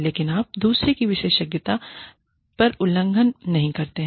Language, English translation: Hindi, But, you do not infringe, on the expertise of another